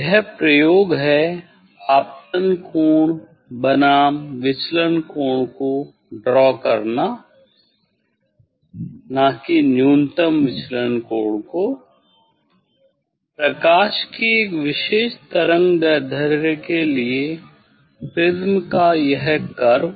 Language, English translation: Hindi, this experiment is draw angle of incidence versus angle of deviation, not angle of minimum deviation; this curve of a prism for a particular wavelength of light